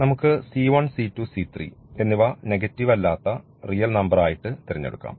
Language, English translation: Malayalam, So, c 1 c 2 any real number and the c 3 is a positive, a non negative real number